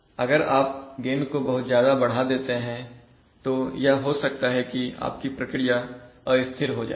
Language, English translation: Hindi, If you increase again too much it may happen that the process will become unstable